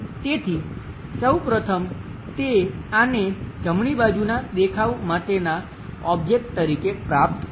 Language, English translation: Gujarati, So, first of all, he will get this one as the object for the right side view